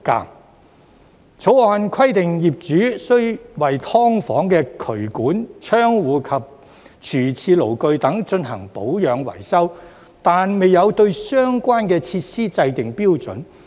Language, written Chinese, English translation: Cantonese, 《條例草案》規定業主須為"劏房"的渠管、窗戶及廚廁爐具等進行保養維修，卻未有對相關設施制訂標準。, While the Bill requires landlords to maintain and repair the drains windows kitchens toilets and appliances of their SDUs it does not set any standards for these facilities